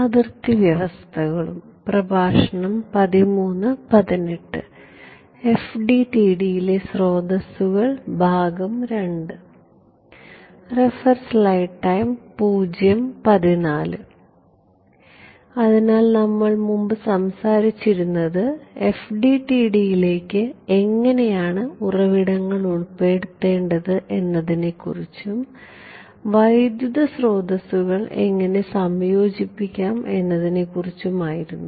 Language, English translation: Malayalam, So we were previously talking about the kind how to incorporate sources into FDTD and what we looked at how was how to incorporate current sources